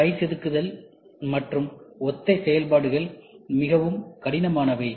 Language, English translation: Tamil, Hand carving and similar operations are very tedious